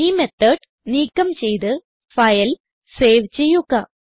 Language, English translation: Malayalam, So remove this method and Save the file